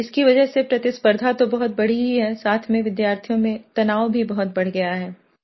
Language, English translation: Hindi, As a result, the competition has multiplied leading to a very high increase of stress in the students also